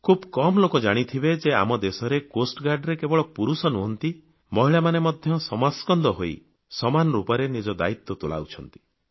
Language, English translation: Odia, Not many people would be aware that in our Coast Guard, not just men, but women too are discharging their duties and responsibilities shoulder to shoulder, and most successfully